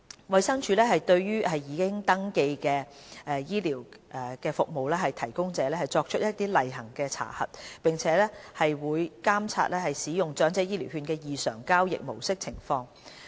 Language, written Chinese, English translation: Cantonese, 衞生署會對已登記的醫療服務提供者作出例行查核，亦會監察使用長者醫療券的交易異常情況。, Apart from routine inspections of registered medical service providers DH will also conduct monitoring and surveillance to detect aberrant patterns of EHV transactions